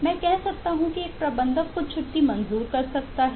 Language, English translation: Hindi, I can say that, eh, a manager can approve some leave